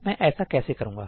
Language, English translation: Hindi, So, how do I do that